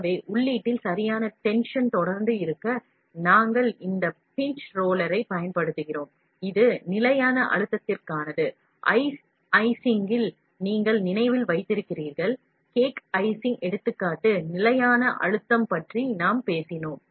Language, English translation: Tamil, So, in order to have a proper tension constant pressure of feeding, we use this pinch roller, this is for constant pressure, you remember in the ice icing, cake icing example we talked about constant pressure